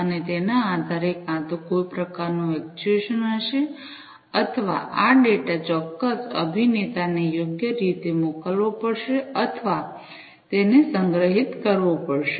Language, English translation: Gujarati, And, based on that either there would be some kind of an actuation or, this data will have to be sent appropriately to certain actor or, it has to be stored, right